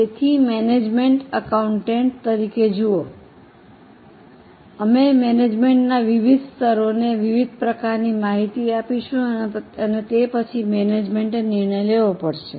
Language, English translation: Gujarati, So, see, as management accountants, we will provide different type of information to various levels of management